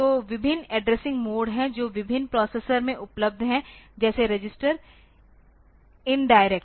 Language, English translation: Hindi, So, there are various addressing modes the that are available in different processors like registered in indirect